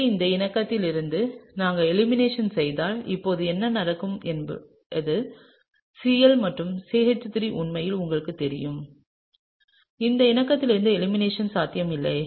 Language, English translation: Tamil, So, if we do the elimination from this conformation, now what will happen is that the Cl and the CH3 are actually you know there is no possibility of elimination from this conformation, right